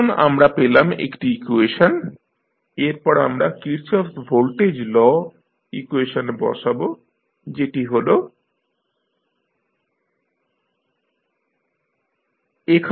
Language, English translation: Bengali, So, now we have got 1 equation, then we put this into the Kirchhoff Voltage Law equation that is ein equal to RCe naught dot plus e naught